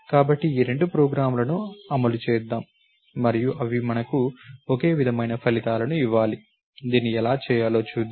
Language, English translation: Telugu, So, let us run these two programs and they should give us identical results, let us see how this can be done